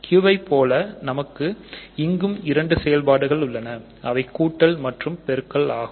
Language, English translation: Tamil, So, just like Q these have also two operations namely addition and multiplication